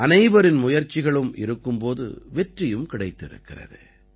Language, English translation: Tamil, When everyone's efforts converged, success was also achieved